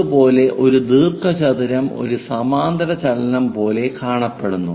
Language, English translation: Malayalam, Similarly, a rectangle looks like a parallelogram